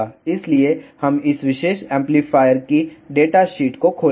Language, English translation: Hindi, So, we will just open the data sheet of this particular amplifier